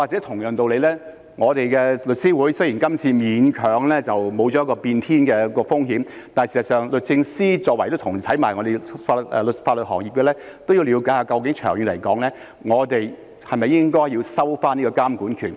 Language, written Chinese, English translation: Cantonese, 同樣道理，雖然我們的律師會這次勉強地沒有變天的風險，但事實上，律政司在同一個法律行業，其實也要了解一下究竟長遠而言，我們是否應該收回監管權。, By the same token although the Law Society managed to avoid the risk of an upheaval this time DoJ in the same legal profession actually needs to look into whether the regulatory power should be taken back in the long run